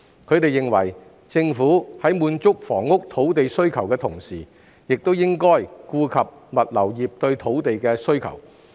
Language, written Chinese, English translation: Cantonese, 他們認為，政府在滿足房屋土地需求的同時，應顧及物流業對土地的需求。, They opine that the Government while meeting the demand for housing land should at the same time attend to the logistics industrys demand for land